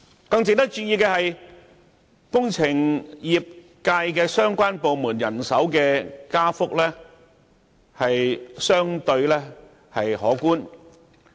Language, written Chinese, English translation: Cantonese, "更值得注意的是，與工程業界相關的部門人手加幅亦相對可觀。, It is even more noteworthy that engineering - related departments will undergo relatively sizable increase in manpower